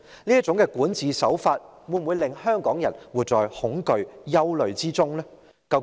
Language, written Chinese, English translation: Cantonese, 這種管治手法會否令香港人活在恐懼和憂慮之中呢？, Will this governance practice cause the people of Hong Kong to live in fear and trepidation?